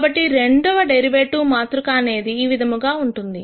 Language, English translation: Telugu, So, the way you do the second derivative matrix is the following